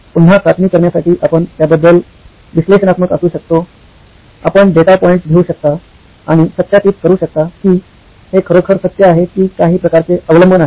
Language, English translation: Marathi, Again to be tested, you can be analytical about it, you can take data points and verify if this is really the truth or is there some kind of dependency